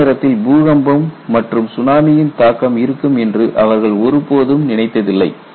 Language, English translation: Tamil, They never thought there would be a combination of earthquake and tsunami coming at the same time